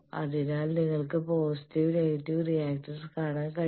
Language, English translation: Malayalam, So, you can see the positive and negative reactance